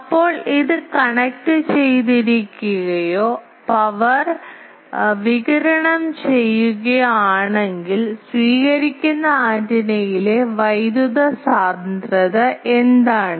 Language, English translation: Malayalam, So if this one is connected or radiating power P t then what is the power density at the receiving antenna